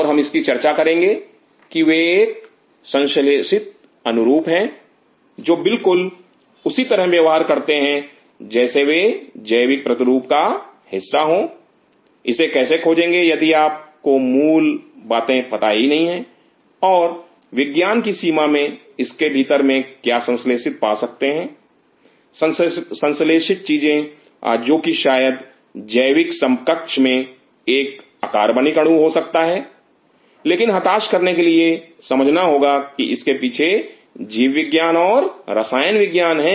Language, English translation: Hindi, And we will talk about it they are a synthetic analogue which exactly behave the same way as they are biological counterpart how to discover it if you do not know the basics and within scientific within this one can have synthetic; synthetic things which maybe I in organic counterpart I be an inorganic molecule, but in order to desperate one has to understand the biology and chemistry behind it